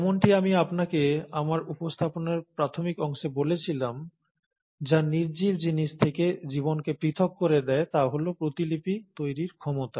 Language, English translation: Bengali, But, as I told you in the initial part of my presentation, what sets apart life from the non living things is the ability to replicate